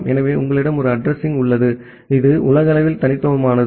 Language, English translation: Tamil, So, you have one address which is unique globally